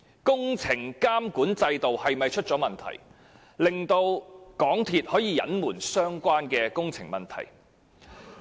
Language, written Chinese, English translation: Cantonese, 工程監管制度有否出現問題，令港鐵公司可以隱瞞相關工程問題？, Does the construction monitoring system have any problem which made it possible for MTRCL to conceal the construction problems?